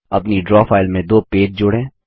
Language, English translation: Hindi, Add two pages to your draw file